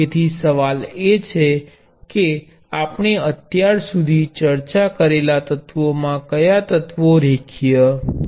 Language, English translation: Gujarati, So, the question is which of the elements is linear among the elements we have discussed so far and why